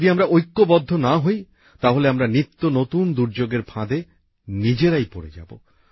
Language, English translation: Bengali, If we don't have unity amongst ourselves, we will get entangled in ever new calamities"